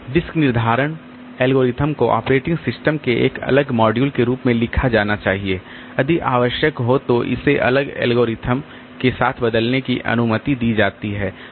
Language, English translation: Hindi, The disk scheduling algorithm should be written as a separate module of the operating system allowing it to be replaced with a different algorithm if necessary